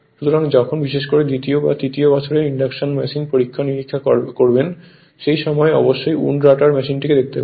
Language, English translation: Bengali, So, when you do experiment particularly in your second or third year induction machine experiment, at that time wound rotor machine definitely we will see